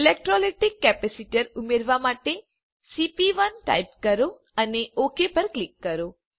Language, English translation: Gujarati, Type cp1 to add electrolytic capacitor and click OK